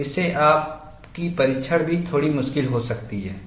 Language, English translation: Hindi, So, this makes your testing also a bit difficult